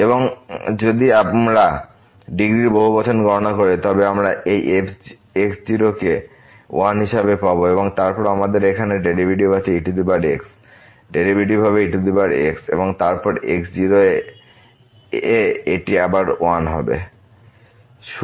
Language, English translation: Bengali, And if we compute the polynomial of degree once we will get this as 1 and then we have the derivative here power the derivative will be power and then at is equal to this will again 1